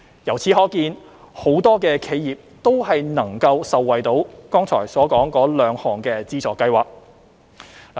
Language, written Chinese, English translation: Cantonese, 由此可見，很多企業都能受惠於剛才所說的兩項資助計劃。, This shows that many enterprises can benefit from the two funding schemes mentioned just now